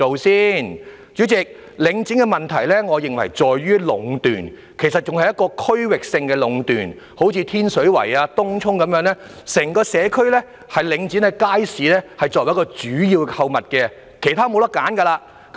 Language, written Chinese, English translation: Cantonese, 代理主席，我認為領展的問題在於壟斷，其實是區域性的壟斷，例如在天水圍和東涌，整個社區只有領展的街市是主要購物地點，別無他選。, Deputy President I believe the problem with Link REIT lies in its monopolization . In fact it is monopolization in the local communities . For example in Tin Shui Wai and Tung Chung the major shopping spots throughout these communities are the markets under Link REIT and there are no other choices